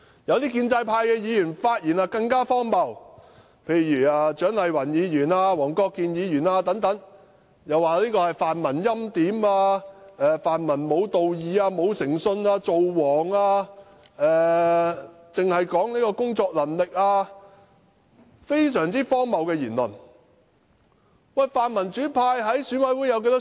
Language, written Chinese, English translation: Cantonese, 有些建制派議員的發言更加荒謬，例如蔣麗芸議員、黃國健議員等，指稱泛民欽點某候選人、"造王"；又指泛民無道義、無誠信，只談及工作能力；他們的言論非常荒謬。, The remarks by some pro - establishment Members are even more absurd . For example Dr CHIANG Lai - wan Mr WONG Kwok - kin and so on have accused the pan - democratic camp of preordaining one candidate and king - making; they also accused the pan - democratic camp of lacking morality and integrity and talking solely about capability; their remarks are extremely absurd